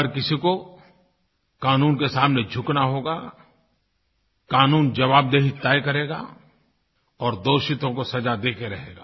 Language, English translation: Hindi, Each and every person will have to abide by the law; the law will fix accountability and the guilty will unquestionably be punished